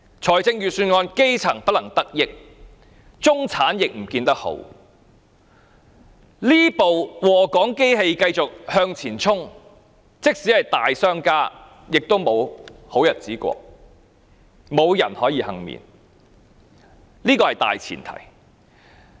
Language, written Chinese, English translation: Cantonese, 在這份預算案之下，基層不能得益，中產亦不見得好，這部禍港機器繼續向前衝，即使是大商家也沒有好日子過，無人可以倖免，這是大前提。, Under this Budget not only are the grass roots not benefited but the middle class also suffer . This Hong Kong destroyer continues to move forward . Even the business tycoons will be adversely affected and no one will be spared